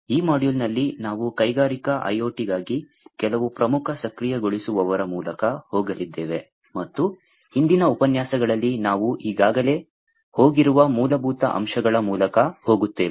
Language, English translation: Kannada, In this module, we are going to go through, some of the Key Enablers for Industrial IoT, and the basics of which we have already gone through in the previous lectures